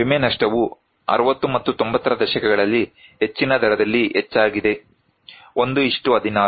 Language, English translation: Kannada, Insured loss increased at in higher rate in 60s and 90s; 1:16